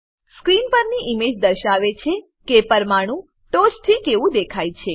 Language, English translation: Gujarati, The image on the screen shows how the molecule looks from the top